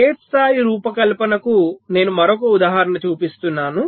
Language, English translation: Telugu, so another example i am showing for a gate level design